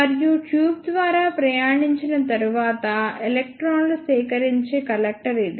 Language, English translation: Telugu, And this is the collector where electrons are collected after traveling through the tube